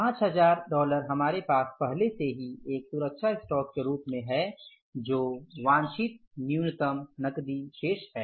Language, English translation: Hindi, 5,000 is already there with us as a safety stock that is a minimum cash balance desired